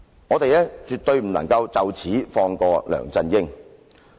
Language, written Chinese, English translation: Cantonese, 我們絕不能就此放過梁振英。, We definitely should not let LEUNG Chun - ying off the hook